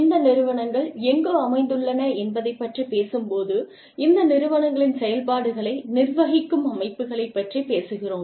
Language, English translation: Tamil, So, when we talk about, where these organizations are situated, we talk about organizations, that govern the workings of these organizations